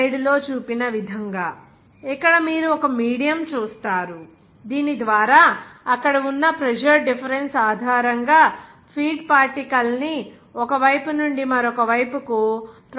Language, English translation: Telugu, As shown slide that; here you will see that this is one medium per’s through which that feed particle transferred from one side to the side, based on the presser difference there